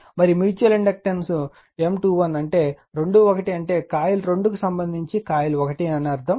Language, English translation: Telugu, And mutual inductance M 2 1 means 2 1 means coil 2 with respect to coil 1